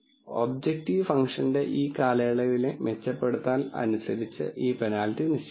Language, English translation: Malayalam, And this penalty should be o set by the improvement I have in this term of the objective function